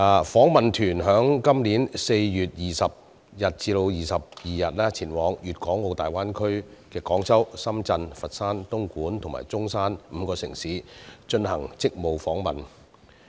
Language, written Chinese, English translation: Cantonese, 訪問團於今年4月20日至22日前往粵港澳大灣區的廣州、深圳、佛山、東莞及中山5個城市進行職務訪問。, The Delegation conducted a duty visit to five cities in the Guangdong - Hong Kong - Macao Greater Bay Area namely Guangzhou Shenzhen Foshan Dongguan and Zhongshan from 20 to 22 April this year